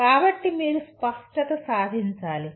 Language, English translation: Telugu, So the you have to achieve clarity